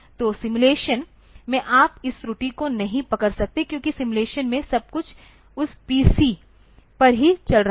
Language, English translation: Hindi, So, in simulation you cannot catch this error, because in simulation everything is running on that PC only